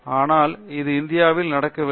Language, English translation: Tamil, But that is not happening in India